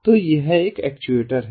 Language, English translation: Hindi, so this is another actuator like this